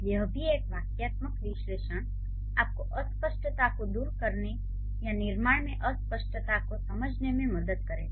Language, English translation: Hindi, So, that's also a syntactic analysis is going to help you to remove the ambiguity or to understand that there is an ambiguity in the construction